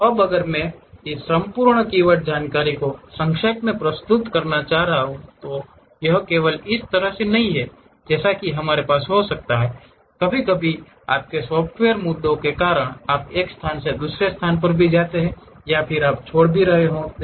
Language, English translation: Hindi, Now, if I would like to summarize this entire keywords information, it is not only this way we can have it, sometimes because of your software issues you might be dragging from one location to other location also you might be leaving